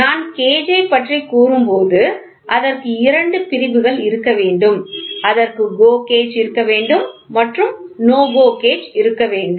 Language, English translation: Tamil, When I say gauge it should have two divisions it should have a GO gauge it should have a NO GO gauge